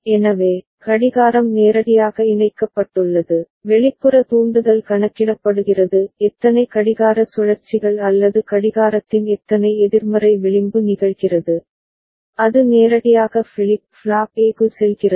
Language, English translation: Tamil, So, the clock is directly connected, the external trigger which is getting counted how many clock cycles or how many negative edge of the clock occurring, that is going directly to the flip flop A